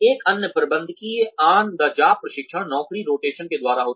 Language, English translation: Hindi, Another managerial on the job training is, by job rotation